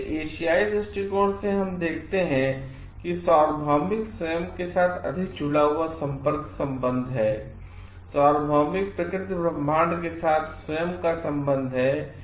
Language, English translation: Hindi, So, from the Asian perspective we see it is more connected connectivity connection with the universal self, connection of oneself with the universal nature cosmos